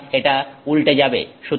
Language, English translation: Bengali, So, it is inverted